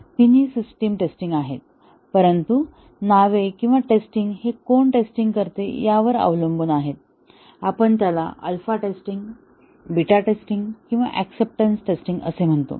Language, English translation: Marathi, All three are system testing, but the names or the testing is depending on who does the testing, we call it as alpha testing, beta testing or acceptance testing